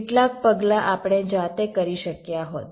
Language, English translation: Gujarati, some of the steps we could have done manually